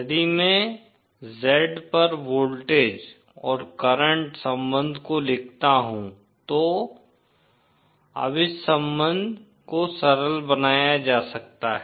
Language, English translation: Hindi, If I write the voltage and current relationship at Z, that isÉnow this can be simplified to this relationship